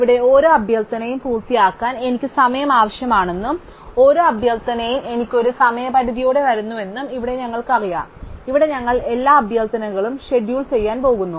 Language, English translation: Malayalam, Here we just know that each request i requires time t of i to complete and each request i comes with a deadline d of i, here we are going to schedule every request